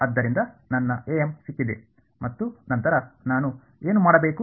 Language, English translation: Kannada, So, I have got my a m and then what do I do